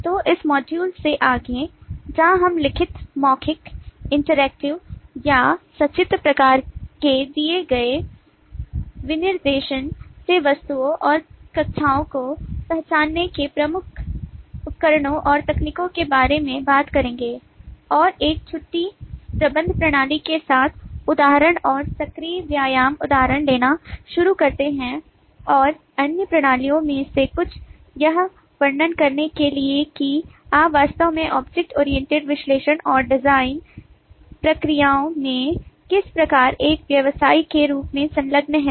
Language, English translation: Hindi, so from this module onwards, where we will talk about some of the major tools and techniques of actually identifying objects and classes from a given specification of written, verbal, interactive or pictorial kind, and start taking example and active exercise example with a leave management system and some of the other systems to illustrate how, as a practitioner, you actually engage in the objectoriented analysis and design processes